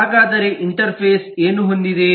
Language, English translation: Kannada, so what does the interface has